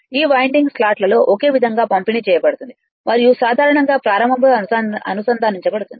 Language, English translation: Telugu, The winding is uniformly distributed in the slots and is usually connected in start right